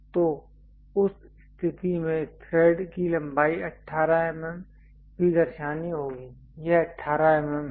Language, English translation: Hindi, So, then in that case the thread length 18 mm also has to be shown this is the 18 mm